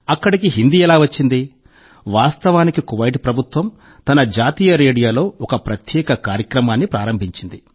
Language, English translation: Telugu, Actually, the Kuwait government has started a special program on its National Radio